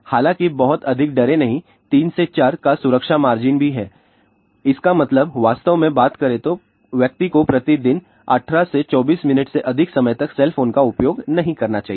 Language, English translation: Hindi, However do not be too much afraid also there is a safety margin of 3 to 4; that means, really speaking a person should not use cell phone for more than 18 to 24 minutes per day